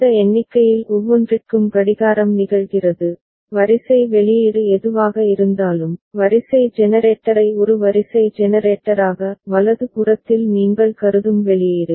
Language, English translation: Tamil, And for each of this count as the clocking occurs so, whatever the sequence output, sequence generator as a sequence generator the output that you consider in the right hand side